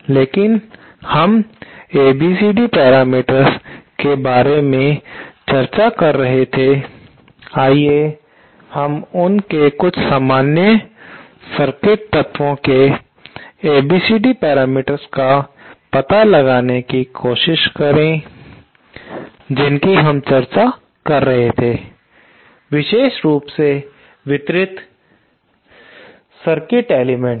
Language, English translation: Hindi, Now, we were discussing about the ABCD parameters, let us try to find out the ABCD parameters of some common circuit elements that we have been discussing, especially the distributed circuit element